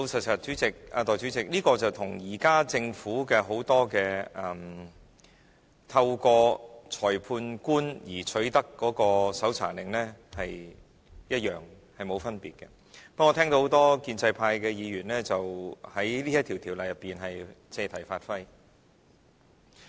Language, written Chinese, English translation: Cantonese, 代理主席，老實說，這個做法跟現時政府很多透過裁判官取得搜查令一樣，並無分別，不過，我聽到很多建制派議員在這項條文上借題發揮。, Deputy Chairman honestly speaking there is no difference between the proposed practice and the existing practice that Government staff may obtain search warrants from magistrate through a certain procedure but a lot of pro - establishment Members are making an issue of this provision